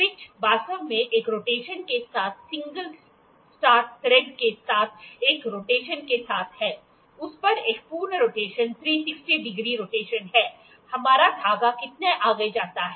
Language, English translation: Hindi, Pitch is actually with one rotation with the single start thread with one rotation, one complete rotation that is 360 degree rotation, how much forward does our thread go